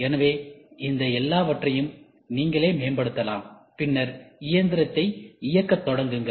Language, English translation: Tamil, So, all these things you yourself can optimize, and then start firing the machine